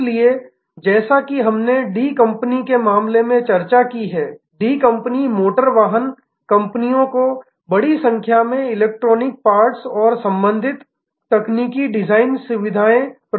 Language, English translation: Hindi, So, as we discussed in case of D company the D company provides large number of electronic parts and associated technical design services to automotive companies